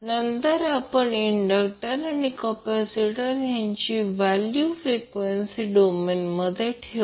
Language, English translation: Marathi, And then we will put the value of the inductors and capacitor, in frequency domain